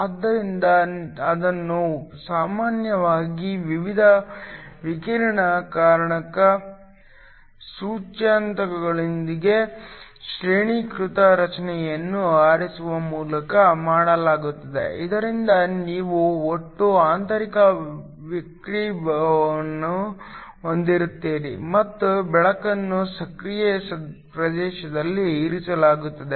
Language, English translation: Kannada, So, This is done by usually choosing a graded structure with different refractive indices, so that you have total internal refraction and the light kept within the active region